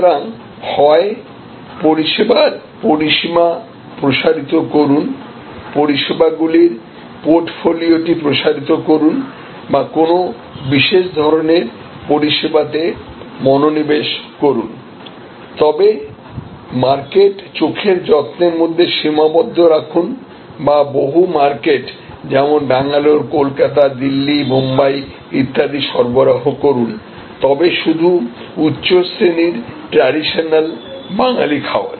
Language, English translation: Bengali, So, either expand on range of services, expand your portfolio of services or remain focused on a type of service, range of service, but crisply defined market eye care or serve many markets Bangalore, Calcutta, Delhi, Bombay and so on, but have one offering high class traditional Bengali cuisine